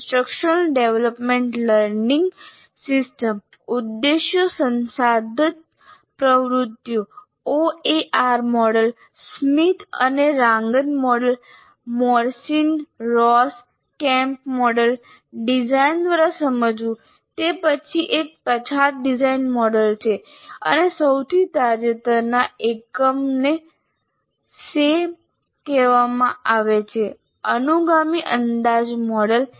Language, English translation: Gujarati, And then you have instructional development learning system, IDLS, Objectives Resource Activities, OAR model, Smith and Dragon model, Morrison Ross Kemp model, understanding by design, it's a backward design model and the most recent one is called Sam, successive approximation model